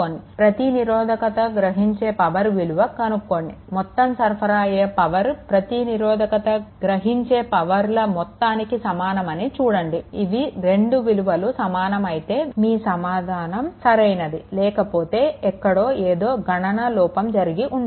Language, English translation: Telugu, So, you find out that how much power and then power absorb in the each each resistor you see, then you make that your power absorbs is equal to power supplied whether it is correct or not if you get ah matching, then your answer is correct otherwise somewhere some calculation error is there